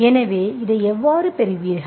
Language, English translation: Tamil, So how do you get this